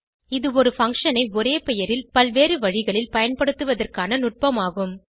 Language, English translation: Tamil, It is the mechanism to use a function with same name in different ways